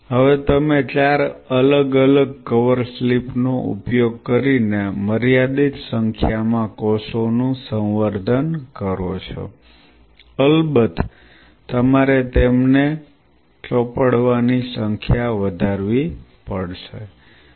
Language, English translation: Gujarati, Now, you culture the cells a finite number of cells using on four different cover slips, you have to of course, increase their application number